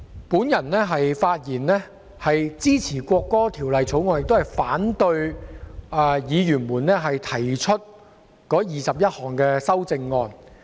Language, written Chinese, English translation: Cantonese, 主席，我發言支持《國歌條例草案》，並反對議員提出的21項修正案。, Chairman I rise to speak in support of the National Anthem Bill the Bill and in opposition to the 21 amendments proposed by Honourable Members